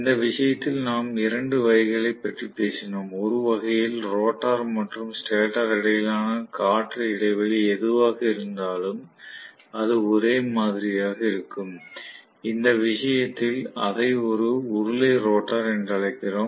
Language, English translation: Tamil, And in this itself, we talked about two types, in one case, the rotor and the stator in between whatever is the air gap that is going to be uniform, completely in which case we call it as cylindrical rotor